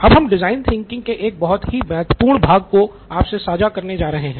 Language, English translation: Hindi, Now we are going into a very, very important part of design thinking